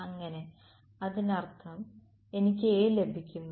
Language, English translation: Malayalam, So; that means, I get A